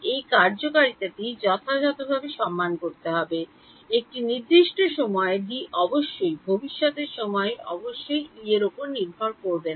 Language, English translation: Bengali, This causality has to be respected right, the D at a certain time should not depend on E at future time instance obviously